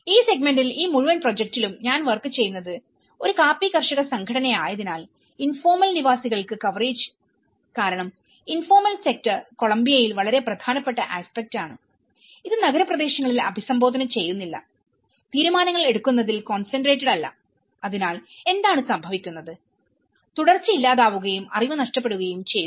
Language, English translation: Malayalam, In this segment, in this whole project, because it’s a coffee growers associations which I working on, the coverage of informal dwellers because informal sector is very significant aspect in Colombia which has not been addressed and concentrated decision making in urban areas and lack of continuity and loss of knowledge what happens